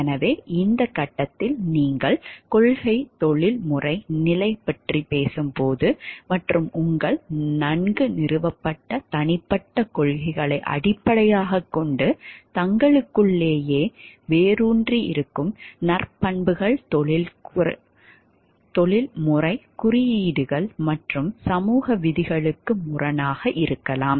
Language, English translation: Tamil, So, decision at this stage when you are talking of principle professional stage and based on your well established personal principles that the virtues that have got ingrained within oneself and may contradict professional codes and social rules also